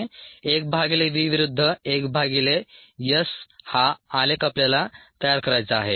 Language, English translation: Marathi, one by v versus one by s is what we need to plot